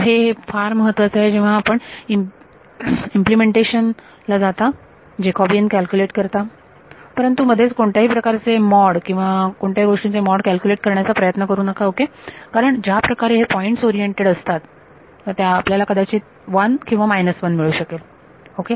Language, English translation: Marathi, So, this is very very important when you get down to implementation you calculate the Jacobian exactly do not do not try to take mod of something in between ok, because the way the points are oriented you may get a plus 1 or a minus 1